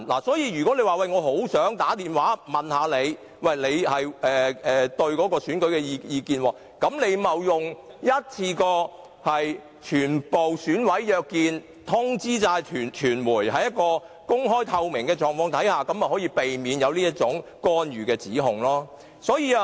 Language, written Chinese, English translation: Cantonese, 所以，如果他們很想知道對方對選舉的意見，便不應該致電個別選委，而是應該一次過約見全部選委，並且通知傳媒，在公開和透明的情況下進行，這樣便可避免這種干預的指控。, Hence if they are anxious to know the voting intentions of EC members they should not call individual EC members but should meet all EC members in an open meeting with great transparency and also notify the media . Thus they can avoid the accusation of interfering in Hong Kongs affairs